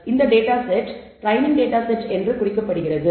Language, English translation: Tamil, Such that a data set is also denoted as the training data set